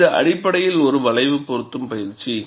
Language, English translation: Tamil, It is essentially a curve fitting exercise